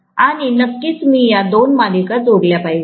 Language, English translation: Marathi, And of course I have to connect these two in series